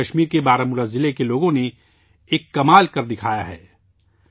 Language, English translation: Urdu, Now the people of Baramulla district of Jammu and Kashmir have done a wonderful job